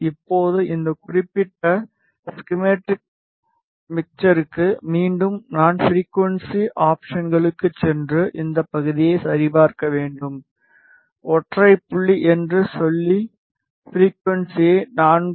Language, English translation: Tamil, Now, for this particular project mixer again I have to set frequencies go to options and check this part, say single point and set the frequency to 4